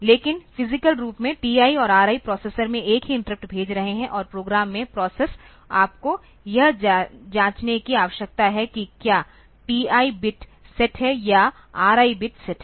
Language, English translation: Hindi, But physically TI and RI also they are sending a single interrupt to the processor and the process in the program you need to check whether the TI bit is set or RI bit is set